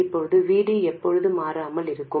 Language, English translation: Tamil, Now, when does V D stay constant